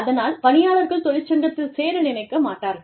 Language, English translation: Tamil, So, people do not want, to join a union